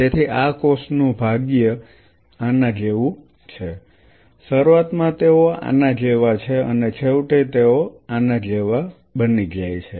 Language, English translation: Gujarati, So, the fate of these cells is like this initially they are like this and eventually they become something like this